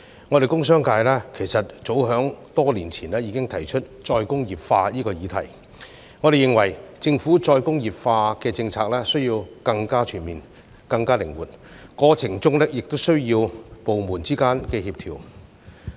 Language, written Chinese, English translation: Cantonese, 我們工商界早在多年前已經提出再工業化的議題，並且認為政府需要制訂更全面、更靈活的再工業化政策，過程中亦需要部門之間的協調。, We from the industrial and business sectors have put forth the subject of re - industrialization many years ago and we believe that the Government needs to formulate a more comprehensive and flexible policy for re - industrialization . Coordination among departments is also needed in the process